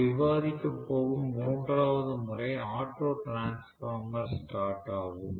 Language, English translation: Tamil, The third method of starting that we are going to discuss is auto transformer starting